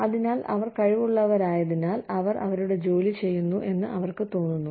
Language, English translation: Malayalam, So, they feel that, since they are competent, they are doing their work